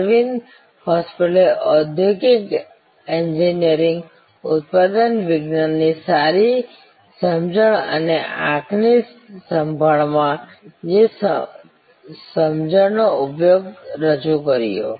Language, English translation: Gujarati, Aravind hospital introduced industrial engineering, good understanding of manufacturing science and deployment of that understanding in eye care